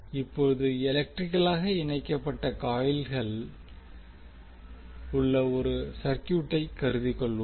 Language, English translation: Tamil, Now let us consider the circuit where the coils are electrically connected also